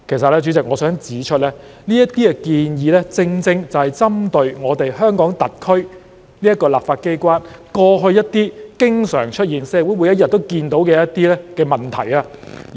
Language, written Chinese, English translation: Cantonese, 代理主席，我其實想指出，這些建議正正針對香港特區立法機關過去經常出現、社會每天都看到的一些問題。, Deputy President I wish to point out that these proposals precisely seek to address some problems that used to occur in the legislature of HKSAR and were seen by the community day after day